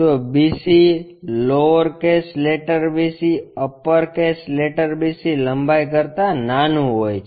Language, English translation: Gujarati, So, bc, lower case letter bc is smaller than upper case letter BC length